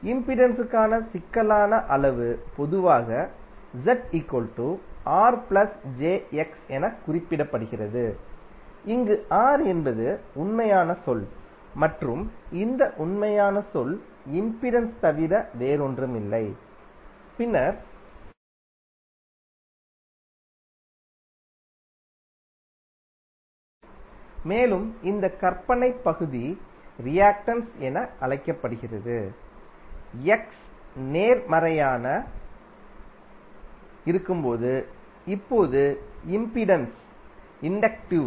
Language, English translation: Tamil, The complex quantity for impedance is generally represented as Z is equal to R plus j X, where R is the real term and this real term is nothing but the resistance in the impedance term and then X which is imaginary part of Z and this imaginary part is called reactance